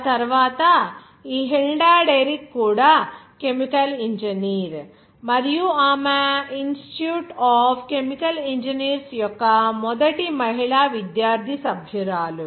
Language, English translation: Telugu, ” After that this Hilda Derrick was also a chemical engineer and she was the first female student member of the Institute of Chemical Engineers